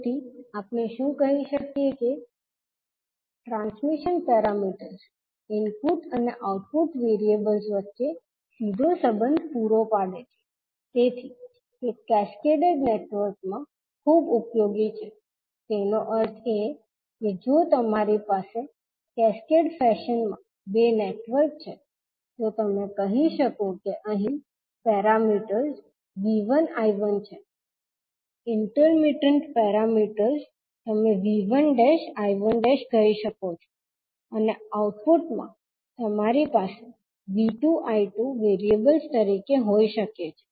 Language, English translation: Gujarati, So, what we can say that since the transmission parameters provides a direct relationship between input and output variables, they are very useful in cascaded networks that means if you have two networks connected in cascaded fashion so you can say that here the parameters are V 1 I 1, intermittent parameters you can say V 1 dash I 1 dash and output you may have V 2 and I 2 as the variables